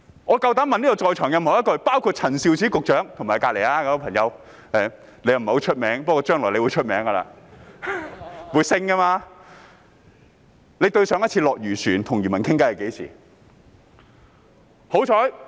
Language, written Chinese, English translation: Cantonese, 我膽敢問會議廳內各人，包括陳肇始局長及她身旁那位——他不太出名，不過將來會出名的，日後會升職的——上一次落漁船與漁民傾談是何時？, I dare to ask all those who are present in the Chamber including Secretary Prof Sophia CHAN and the colleague beside her―he is not famous yet he will become famous when he gets promoted in future―when was their last visit to a fishing vessel to chat with fishermen?